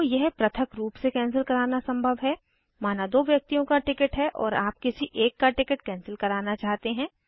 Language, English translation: Hindi, It is possible to cancel partially, Suppose 2 people travel and you want to cancel the ticket of any one person